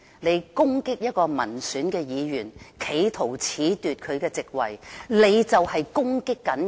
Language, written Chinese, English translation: Cantonese, 你攻擊一位民選議員，企圖褫奪他的席位，你便是在攻擊人民。, When you attack an elected Member trying to disqualify him from office you would be attacking the people